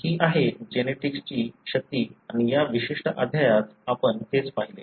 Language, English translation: Marathi, So that is the power of genetics and that is what we pretty much looked at in this particular chapter